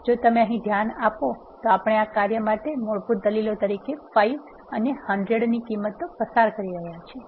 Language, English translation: Gujarati, If you notice here we are passing this values of 5 and 100 as a default arguments for this function